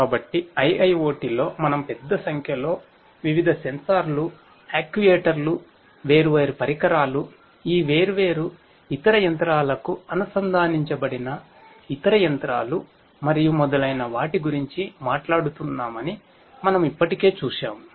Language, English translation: Telugu, So, we already saw that in IIoT we are talking about scenarios where there are large numbers of different sensors, actuators, different devices, other machinery attached to these different other machinery and so on